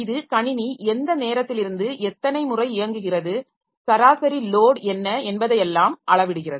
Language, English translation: Tamil, So this measures how many times the system is up since what time the system is up, what is average load and all that